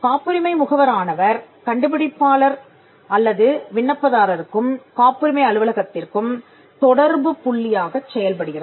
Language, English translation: Tamil, So, the patent agent will be the point of contact between the inventor or the applicant and the patent office